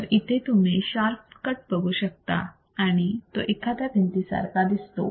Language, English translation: Marathi, So, you can see a sharp cut and it looks like a wall